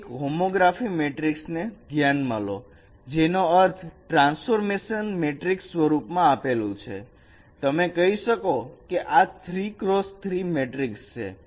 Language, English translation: Gujarati, You consider a homography matrix which means this is a transformation matrix which is given in this form